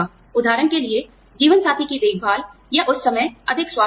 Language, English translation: Hindi, For example, care for spouse, or, more health benefits, at that point of time